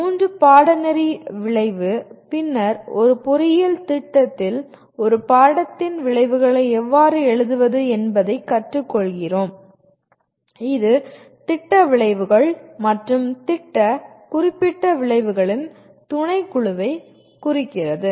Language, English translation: Tamil, The course outcome three then we learn how to write outcomes of a course in an engineering program that address a subset of program outcomes and program specific outcomes